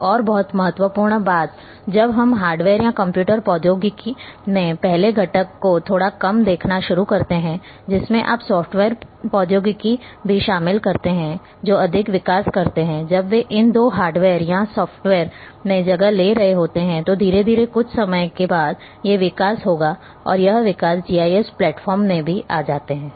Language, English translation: Hindi, Another very important thing when we start looking little bit to the first component in the hardware or computer technology overall which you also include the software technology that more developments when they are taking place in these two hardware and software slowly in after some time these development will also come into the GIS platform